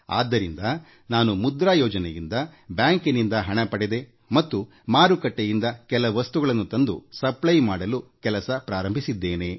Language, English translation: Kannada, She got some money from the bank, under the 'Mudra' Scheme and commenced working towards procuring some items from the market for sale